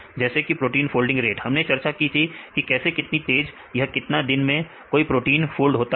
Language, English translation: Hindi, Like proteins folding rates, we discussed the folding rates how fast and how slow a protein can fold right